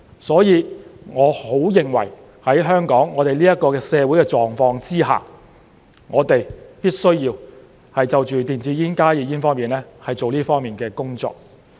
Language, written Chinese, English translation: Cantonese, 所以，我很認為在香港社會的狀況之下，我們必須就電子煙、加熱煙做這方面的工作。, Therefore I firmly believe that under the social circumstances in Hong Kong we must do our work in relation to e - cigarettes and HTPs on this front